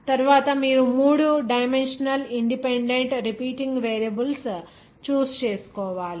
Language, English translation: Telugu, Then next is that you have to choose three dimensionally independent repeating variables